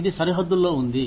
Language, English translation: Telugu, It is on the border